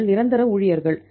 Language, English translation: Tamil, They are permanent employees